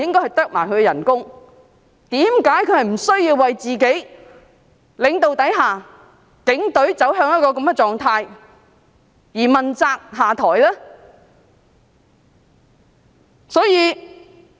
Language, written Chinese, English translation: Cantonese, 為何他不需要為警隊在他的領導下走向一個這樣的狀態而問責下台呢？, Why doesnt he need to be held responsible and step down for reducing the Police to such a state under his leadership?